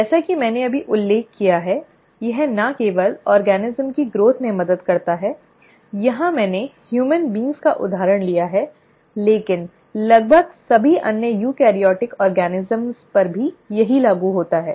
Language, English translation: Hindi, As I just mentioned, it not only helps in the growth of an organism, here I have taken an example of human beings, but the same applies to almost all the other eukaryotic organisms